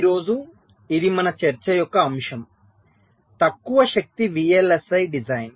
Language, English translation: Telugu, ok, so that is the topic of our discussion today: low power, vlsi design